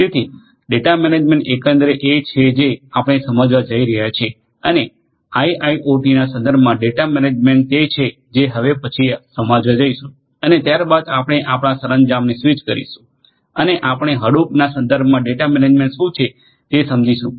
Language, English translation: Gujarati, So, data management overall is what we are going to understand and data management in the context of IIoT is what are going to understand next and thereafter we are going to switch our gears and we will understand what is data management in the context of use of Hadoop, that is what we are going to focus on thereafter